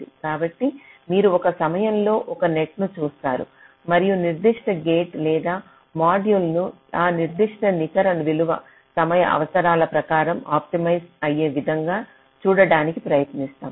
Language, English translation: Telugu, so you look at one net at a time and try to place that particular gate or module in such a way that that particular net value gets optimized in terms of the timing requirement